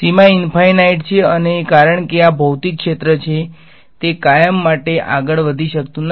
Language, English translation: Gujarati, The boundary has is at infinity and because this is physical field it cannot go on forever